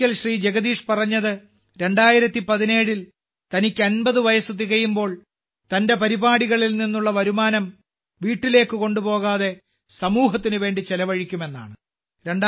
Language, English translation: Malayalam, It so happened that once Bhai Jagdish Trivedi ji said that when he turns 50 in 2017, he will not take home the income from his programs but will spend it on society